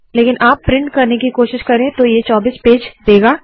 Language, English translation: Hindi, But if you try to print out, it will produce 24 pages